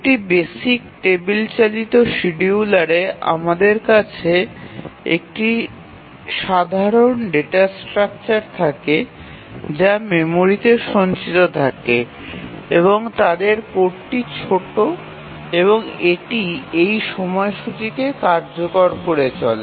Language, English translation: Bengali, So, here as you can see in a basic travel driven scheduler we have a simple data structure that is stored in the memory and the code is small and it just keeps on executing this schedule